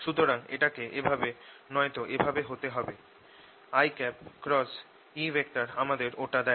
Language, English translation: Bengali, so it has to be either this way or this way